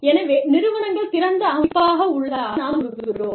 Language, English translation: Tamil, So, we feel, we say that, the organizations are open systems